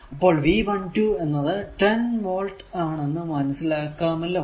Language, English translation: Malayalam, So, it is 10 volt